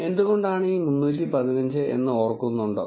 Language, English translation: Malayalam, Remember why this 315